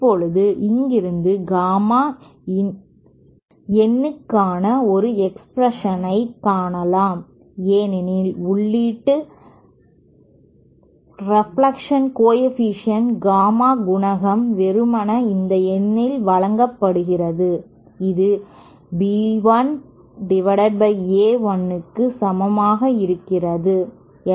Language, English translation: Tamil, Now from here we can find out an expression for gamma in because gamma in input reflection coefficient is simply given by this gamma in is equal to b 1 upon A 1